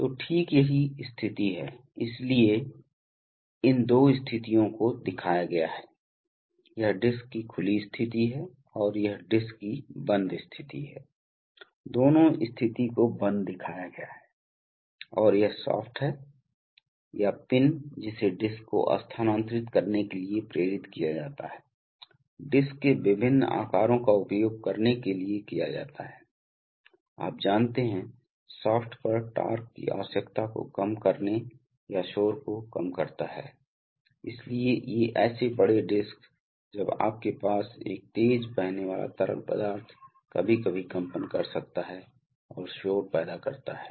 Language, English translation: Hindi, So exactly that is the position, so the, these two positions are shown, so this is the open position of the disc, open position and this is the closed position of the disc, both positions are shown closed position, and this is the shaft or pin which is driven to move the disc, various shapes of discs are used to do, you know again to reduce the torque requirement on the shaft or to reduce noise, so these such big discs when you have a fast flowing fluid can sometimes vibrate and create noise